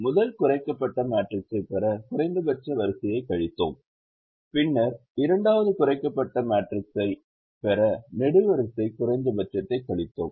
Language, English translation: Tamil, we subtracted the row minimum to get the first reduced matrix and then we subtracted the column minimum to get the second reduced matrix part